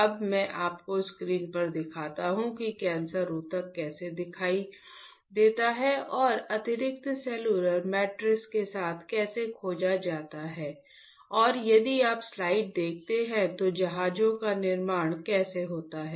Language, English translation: Hindi, Now, let me show you on the screen how the cancer tissue looks like and how they discovered with the extra cellular matrix and how the vessels form , if you see the slide